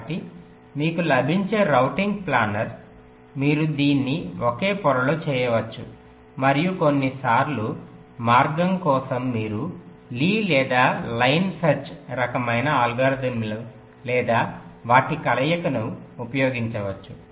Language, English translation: Telugu, so the routing that you get is planner in the sense that you can do it on the same layer and sometimes to get the path you can use either lees or line search kind of algorithms or a combination of them